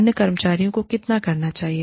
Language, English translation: Hindi, How much should, other employees do